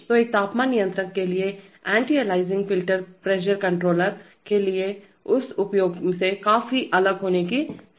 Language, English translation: Hindi, So the anti aliasing filter for a temperature controller is likely to be quite different from that use for a pressure controller right